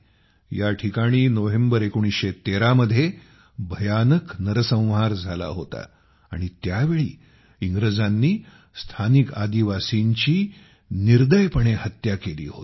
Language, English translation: Marathi, There was a terrible massacre here in November 1913, in which the British brutally murdered the local tribals